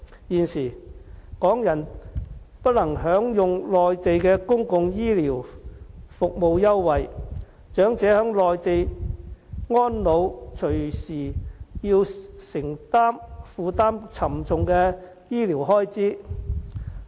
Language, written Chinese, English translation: Cantonese, 現時，港人不能享用內地的公共醫療服務優惠，長者在內地安老隨時要負擔沉重的醫療開支。, At present Hong Kong people are not entitled to enjoy the benefit of Mainlands health care services . Elderly people choosing to spend their post - retirement lives on the Mainland may have to bear the hefty health care expenditure